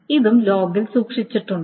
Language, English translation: Malayalam, So that is being written in the log